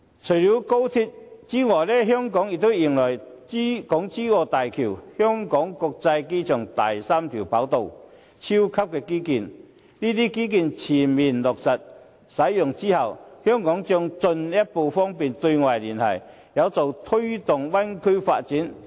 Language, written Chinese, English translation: Cantonese, 除了高鐵，香港也將迎來港珠澳大橋、香港國際機場第三跑道等超級基建，這些基建全面落實使用之後，香港將進一步方便對外聯繫，有助推動大灣區發展。, Besides XRL Hong Kong will also witness the completion of mega infrastructures such as the Hong Kong - Zhuhai - Macao Bridge and the three - runway system 3RS of the Hong Kong International Airport . As soon as these infrastructures are commissioned the external connectivity of Hong Kong will be further enhanced which is helpful to the development of the Bay Area